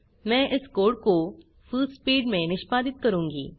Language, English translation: Hindi, I will execute this code in Fullspeed